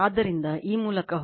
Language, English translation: Kannada, So, just go through this right